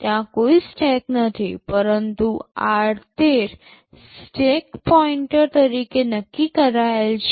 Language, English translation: Gujarati, There is no stack, but r13 is earmarked as the stack pointer